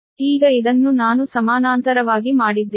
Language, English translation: Kannada, right now, this one, i have made it parallel one